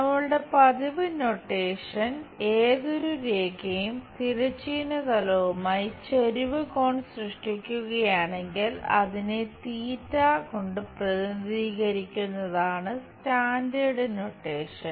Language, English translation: Malayalam, And our usual notation is any line making inclination angle with the horizontal plane, we represent it by theta this is standard notation